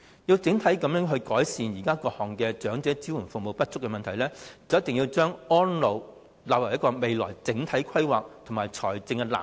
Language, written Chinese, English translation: Cantonese, 若想整體改善現時各項長者支援服務不足的問題，政府必須把安老服務納入未來整體規劃及財政藍圖。, If the Government really wants to resolve various problems relating to the insufficient elderly support services it should integrate elderly services into the overall planning as well as the financial blueprint for the future